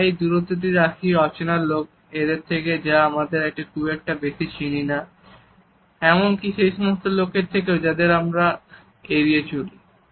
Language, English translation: Bengali, We maintain this distance from strangers and those people with whom we are not very even familiar or even people we want to avoid